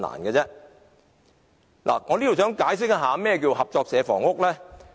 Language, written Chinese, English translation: Cantonese, 我想在此解釋何謂合作社房屋。, Let me explain what the cooperative housing is